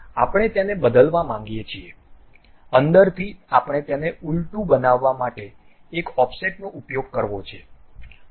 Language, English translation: Gujarati, We want to change that to inside, what we have to do is use Offset now make it Reverse